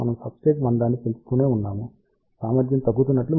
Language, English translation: Telugu, As, we keep on increasing the substrate thickness you can see that the efficiency is decreasing